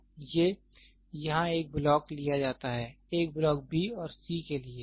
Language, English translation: Hindi, So, these are taken one blocks here, one block to the b and c